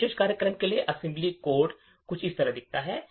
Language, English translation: Hindi, The assembly code for this particular program looks something like this